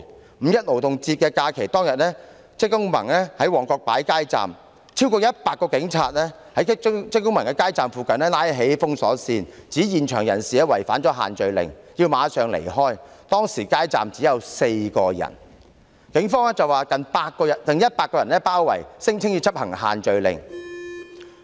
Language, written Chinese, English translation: Cantonese, 在五一勞動節假期當天，職工盟在旺角擺設街站，有超過100名警務人員在街站附近拉起封鎖線，指在場人士違反限聚令，必須馬上離開，但街站當時只有4人，附近卻有100名警務人員包圍，聲稱要執行限聚令。, During the Labour Day holiday on 1 May when CTU set up a street booth in Mong Kok more than 100 police officers maintained a cordon line nearby . They claimed that people at the scene had violated the social gathering restrictions and ordered them to leave immediately but there were in fact only four people at the street booth then . They were surrounded by 100 police officers who asserted that they had to enforce the social gathering restrictions